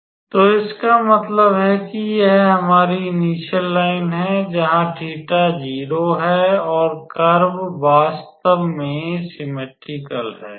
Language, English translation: Hindi, So, that means, that this is our initial line where theta is 0 and the curve is actually symmetrical